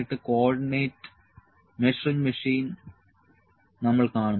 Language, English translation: Malayalam, And we will see the co ordinate measuring machine